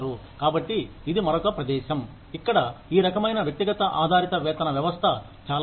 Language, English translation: Telugu, So, that is another place, where this kind of individual based pay system, is very helpful